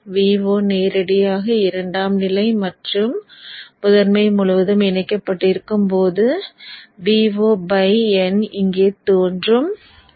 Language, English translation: Tamil, At that time V 0 is connected directly across the secondary and across the primary you will have V 0 by N appearing here